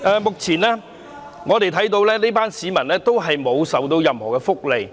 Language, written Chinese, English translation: Cantonese, 目前，這群市民並未享有任何福利。, At present people of this age group do not have any welfare benefits